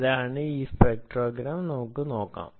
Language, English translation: Malayalam, so this is the spectrogram ah